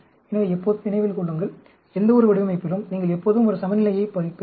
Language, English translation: Tamil, So, always remember, in any design, you will always have a balance